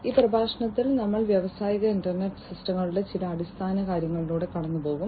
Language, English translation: Malayalam, In this lecture, we will go through some of the Basics of Industrial Internet Systems